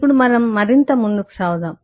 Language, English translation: Telugu, now let us eh, continue further